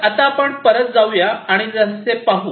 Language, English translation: Marathi, So, let us now again go back and look little further